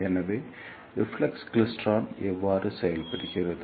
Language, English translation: Tamil, So, this is how the reflex klystron works